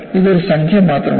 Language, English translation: Malayalam, It is only a number